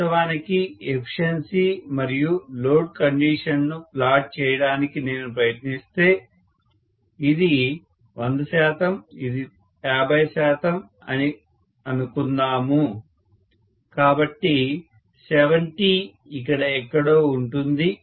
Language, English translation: Telugu, So if I try to plot actually efficiency versus load condition, so let us say this is 100 percent, this is 50 percent, so 70 lies somewhere here